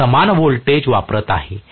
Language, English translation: Marathi, I am applying the same voltage